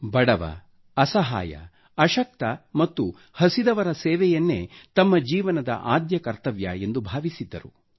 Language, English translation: Kannada, He served the poor, the destitute, the weak and the hungry… he took it as life's prime duty